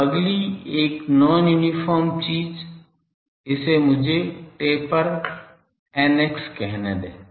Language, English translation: Hindi, So, the next one non uniform thing let me call it taper t eta x